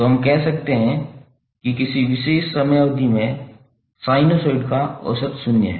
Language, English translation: Hindi, So we can say that average of sinusoid over a particular time period is zero